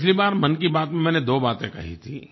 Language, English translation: Hindi, In the last edition of Mann Ki Baat I talked about two things